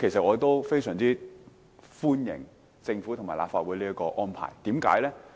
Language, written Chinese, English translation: Cantonese, 我亦非常歡迎政府和立法會這個安排，何解？, I greatly appreciate this arrangement made by the Government and the Legislative Council